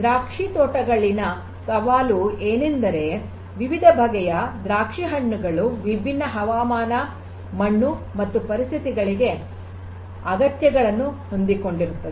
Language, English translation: Kannada, So, the challenge in vineyards is that there are different varieties of grapes which will have requirements for different climatic soil and different you know conditions